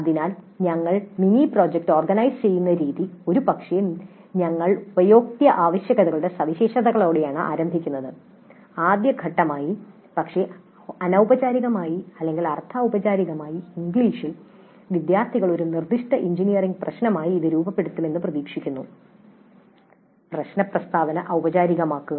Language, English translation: Malayalam, So, the way we organize the mini project, probably we start with the specification of the user requirements but informally or semi formally in English and as a first step the students are expected to formulate that as a specific engineering problem